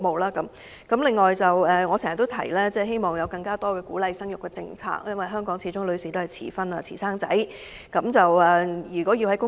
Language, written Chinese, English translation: Cantonese, 關於生育方面，我經常提及希望政府會制訂更多鼓勵生育的政策，因為香港的女士傾向遲婚及遲生育。, Now I would like to speak on the issue of fertility . I have frequently expressed the hope that the Government will formulate more policies to encourage child birth . Women in Hong Kong tend to get married and give birth at a later age